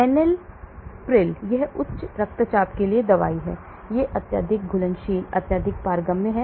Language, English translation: Hindi, Enalapril, this is for hypertension this also highly soluble highly permeable